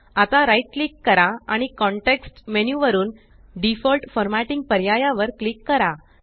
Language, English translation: Marathi, Now right click and from the context menu, click on the Default Formatting option